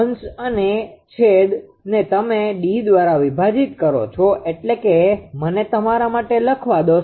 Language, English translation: Gujarati, Numerator and denominator you divide it by D right if you I mean let me write for you ah